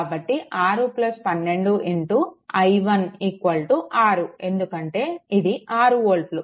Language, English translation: Telugu, So, 6 plus 12 into i 1 is equal to 6 because this 6 volt